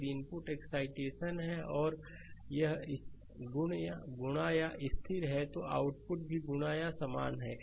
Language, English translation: Hindi, If the input is excitation, and it is multiplied by constant, then output is also multiplied by the same constant